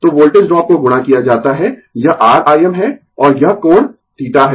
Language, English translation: Hindi, So, voltage drop is multiplied this is R I m, and this angle is theta right